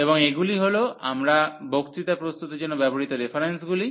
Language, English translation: Bengali, And these are the references we have used for preparing the lectures